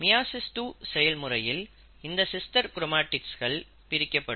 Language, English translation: Tamil, And then, in meiosis two, you will find that there are sister chromatids which will get separated